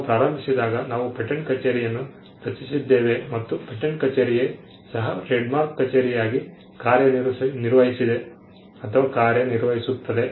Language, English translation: Kannada, When we started off, we created a patent office and the patent office also acted as the trademark office